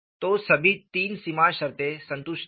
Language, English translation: Hindi, , so the boundary condition 1 is fully satisfied